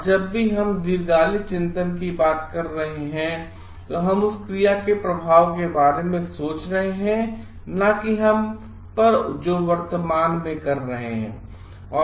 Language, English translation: Hindi, And whenever we are talking of this long term contemplation, we are thinking of the effect of the action that we are doing at present not only on us